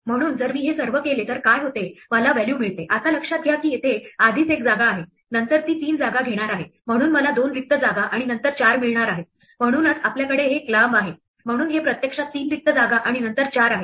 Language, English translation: Marathi, So if I do all this, then what happens is I get value, now notice that already there is one space here, then it going to take three spaces so I am going to get two blank spaces and then a 4, so that is why we have this long, so this is actually three blank spaces and then a 4